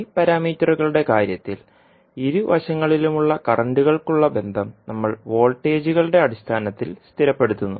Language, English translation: Malayalam, While in case of y parameters we stabilize the relationship for currents at both sides in terms of voltages